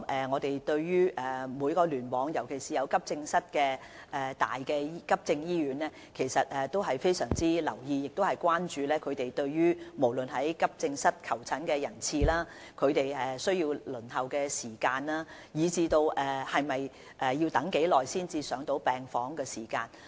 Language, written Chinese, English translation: Cantonese, 我們對每個聯網，特別是急症醫院也相當留意，亦十分關注它們的急症室求診人次、輪候時間，以及病人要等候多久才可入住病房。, We have been closely following the situations at all hospitals in each cluster especially acute hospitals . We are very concerned about the attendance and waiting time in their AE departments and how long patients must wait before ward admission